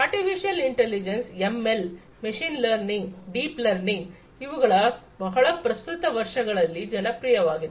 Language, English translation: Kannada, Artificial Intelligence, ML: Machine Learning, Deep Learning these things have become very popular in the recent years